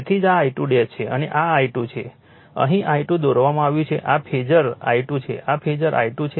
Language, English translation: Gujarati, So, that is why this is my I 2 dash and this is I 2, I 2 is drawn here this phasor is I 2, this phasor is I 2